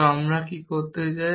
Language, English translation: Bengali, So, what I what I want do